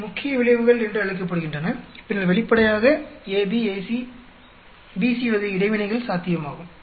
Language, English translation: Tamil, These are called the main effects and then so obviously there could be interaction AB, AC, BC type of interactions are possible